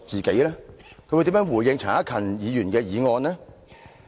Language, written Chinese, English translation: Cantonese, 他會如何回應陳克勤議員的議案？, How would he respond to Mr CHAN Hak - kans motion?